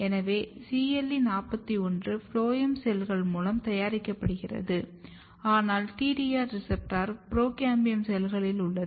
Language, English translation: Tamil, So, CLE41 is basically produced by the phloem cells, but the receptor TDR is present in the procambium cells